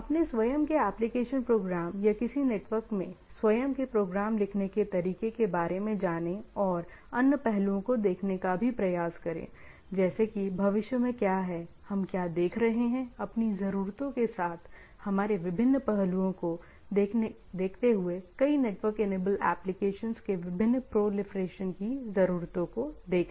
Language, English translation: Hindi, Learn about how to write my own application programs or own programs in a network and also try to look at the other aspects, like what is, what is in future, what we are looking for, given our different aspects of, with our needs and different proliferation of several network enabled applications